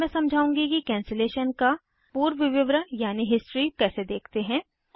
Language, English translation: Hindi, I will now explain how to see the history of cancellation